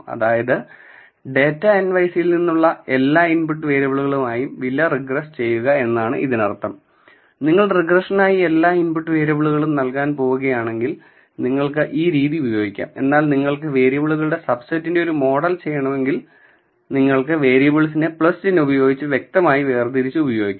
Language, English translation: Malayalam, So, this means regress price with all the input variables from the data nyc So, if you are going to give all the input variables for regression then you can go with this, but if you have a subset of variables that you want to build a model with, then you can specify the variables separated by a plus sign